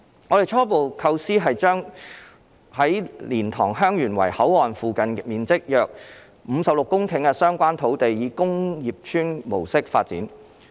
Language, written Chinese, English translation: Cantonese, 我們的初步構思是將在蓮塘/香園圍口岸附近面積約56公頃的相關土地以工業邨模式發展。, We preliminarily intend to adopt the development mode of industrial estates for the relevant land of around 56 hectares near LiantangHeung Yuen Wai Boundary Control Point